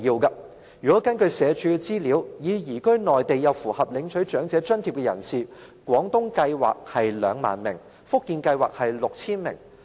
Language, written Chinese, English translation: Cantonese, 根據社署資料，已經移居內地又符合領取長者津貼的人士數目，廣東計劃是 20,000 名，福建計劃是 6,000 名。, According to SWDs information 20 000 and 6 000 elderly persons who have already moved to the Mainland respectively under the Guangdong Scheme and Fujian Scheme are eligible for elderly allowances